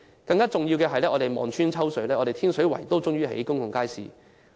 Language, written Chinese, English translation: Cantonese, 更重要的是，我們望穿秋水，終於看到天水圍興建公共街市。, More importantly we will finally see the construction of a public market in Tin Shui Wai after a long wait of years